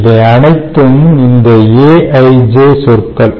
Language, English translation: Tamil, these are all these a ij terms, ok